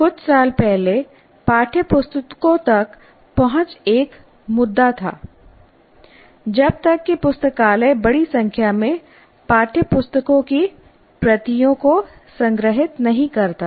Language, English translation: Hindi, A few years ago access to textbooks was an issue unless library stores large number of copies